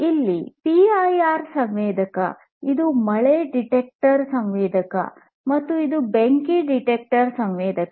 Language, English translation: Kannada, This is PIR sensor, this is rain detector sensor, and this is fire detector sensor